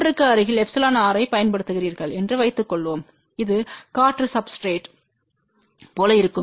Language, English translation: Tamil, Suppose you use epsilon r close to 1 which will be like an air substrate